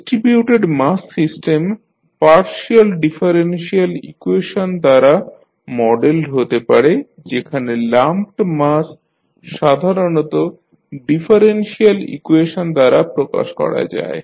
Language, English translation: Bengali, The distributed mass systems are modeled by partial differential equations whereas the lumped masses are represented by ordinary differential equations